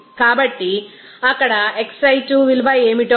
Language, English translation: Telugu, So, we can get that what will be the value of xi 2 there